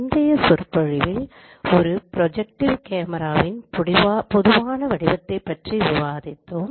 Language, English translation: Tamil, In the previous lecture we discussed the form of a general project of camera